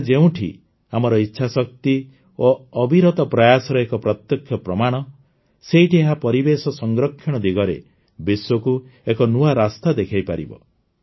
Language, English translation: Odia, Whereas this evidence is direct proof of our willpower and tireless efforts, on the other hand, it is also going to show a new path to the world in the direction of environmental protection